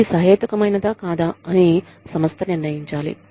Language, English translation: Telugu, The organization has to determine, whether this is reasonable, or not